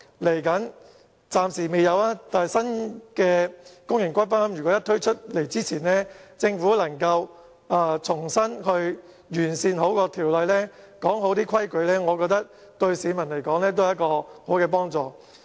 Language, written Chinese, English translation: Cantonese, 雖然暫時未有新的公營龕位供應，但如果政府能夠在新的龕位推出前完善有關法例，訂明相關的規矩，我覺得對市民也會有幫助。, Although there will be no supply of new public niches for the time being if the Government can fine - tune the relevant legislation before the next batch of new niches and set out the necessary rules I think this would be of great help to members of the public